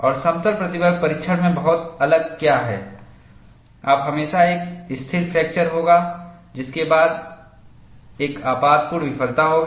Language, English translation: Hindi, And what is very distinct in plane stress testing is, you will always have a stable fracture followed by a catastrophic failure